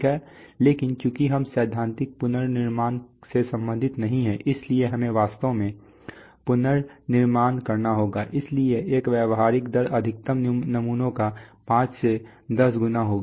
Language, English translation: Hindi, But since we are not concerned with theoretical reconstruction we have to actually reconstructed, so therefore a practical rate would be 5 to 10 times of the maximum samples